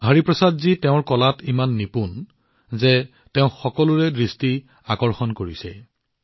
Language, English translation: Assamese, Hariprasad ji is such an expert in his art that he attracts everyone's attention